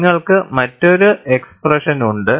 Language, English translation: Malayalam, You have another expression